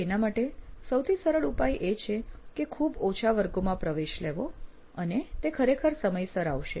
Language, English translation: Gujarati, So the simplest solution for him is to enrol for very few classes and he would actually show up on time